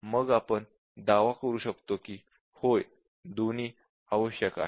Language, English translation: Marathi, Then we can claim that yes, both are necessary